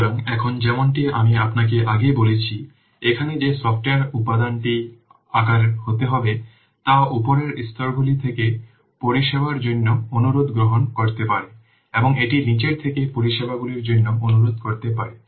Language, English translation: Bengali, So now as I have already told you that here, the software component that has to be sized can receive requests for services from layers above and it can request services from those below it